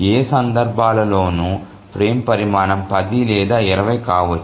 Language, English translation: Telugu, So in none of these cases, so the frame size can be either 10 or 20